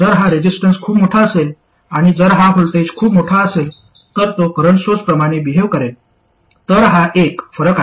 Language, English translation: Marathi, If this resistor happens to be very large and if this voltage is very large, then it will tend to behave like a current source